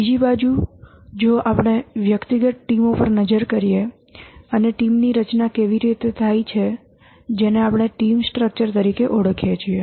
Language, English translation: Gujarati, On the other hand, if we look at the individual teams and how the team is structured, that we call as the team structure